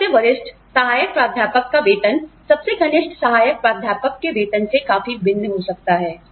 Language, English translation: Hindi, The salary of the senior most assistant professor, could be significantly different from, the salary of the junior most assistant professor